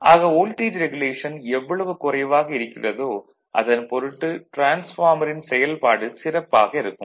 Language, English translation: Tamil, So, smaller is the voltage regulation better is the operation of the transformer right